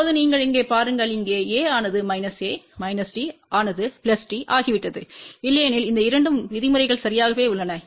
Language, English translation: Tamil, Now, you look over here, here A has become minus A, minus D has become plus D, otherwise these two terms are exactly same